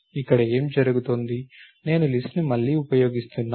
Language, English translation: Telugu, So, what happen doing here, I am reusing the list